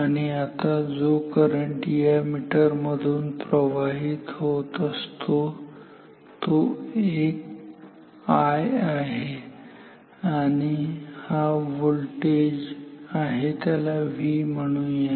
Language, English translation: Marathi, And, now the current which will flow through this meter I ok; so, this is the voltage call it V